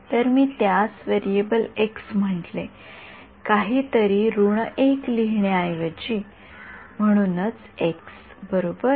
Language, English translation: Marathi, So, I called it one variable x instead of having to write something minus 1 and so x right so, right